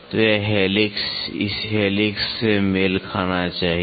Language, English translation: Hindi, So, this helix should match with this helix